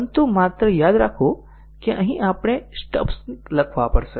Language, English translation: Gujarati, But just remember that here we will have to write stubs